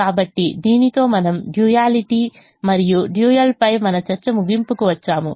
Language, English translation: Telugu, so with this we come to a end of our discussion on duality and the dual